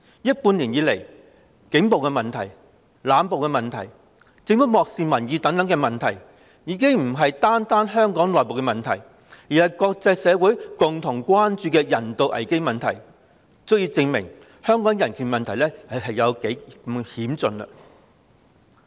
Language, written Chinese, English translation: Cantonese, 這半年來，警暴、濫捕、政府漠視民意等問題已不單是香港的內部問題，更是國際社會共同關注的人道危機，足以證明香港的人權問題有多嚴峻。, In the past six months police brutality arbitrary arrests the Governments disregard for public opinion etc have become not only the internal problems of Hong Kong but also a humanitarian crisis attracting common attention in the international community and all this is sufficient proof of how critical is the issue of human rights in Hong Kong